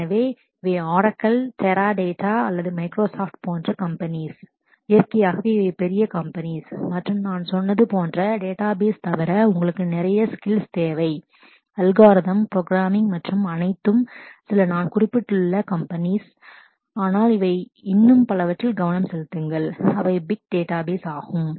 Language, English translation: Tamil, So, these are companies like Oracle, Teradata or Microsoft and so on, naturally these are big companies and you need more lot of more skills besides the database like I said algorithms programming and all that to crack a job here and here are some of some companies which I have mentioned, but there are many others who are focusing on the big data space